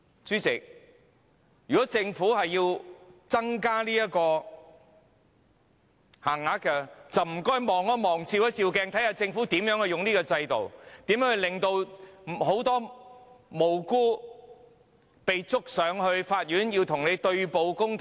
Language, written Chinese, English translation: Cantonese, 主席，如果政府要增加這項限額，就麻煩政府照鏡，看看政府如何利用法律制度，如何控告多位無辜的人士，令他們要與政府對簿公堂。, President if the Government wishes to increase this limit will it please look into the mirror and see how it has made use of the legal system to prosecute many innocent people forcing them to take the matter to Court against the Government